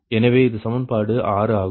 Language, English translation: Tamil, this is equation six